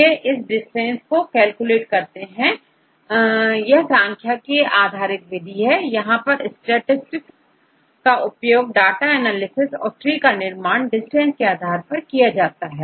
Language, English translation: Hindi, They calculate the distance right, it is a statistically based method; they use statistics to analyze the data to construct the trees based on the distance